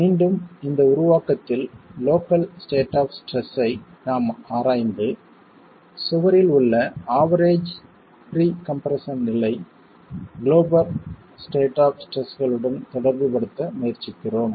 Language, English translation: Tamil, Again, within this formulation we are examining the local states of stress and trying to relate it to the global states of stress, the average pre compression level in the wall itself